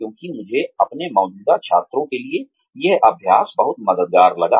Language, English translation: Hindi, Because, I found this exercise, to be very helpful, for my current students